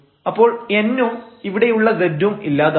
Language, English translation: Malayalam, So, n and this is z here and these 2 gets cancelled